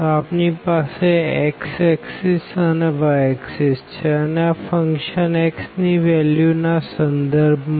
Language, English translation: Gujarati, So, this is x axis and then here we have the y axis and this is the function f x with respect to the values of x